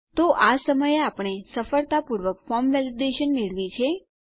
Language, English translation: Gujarati, So, at the moment we have now got a successful form validation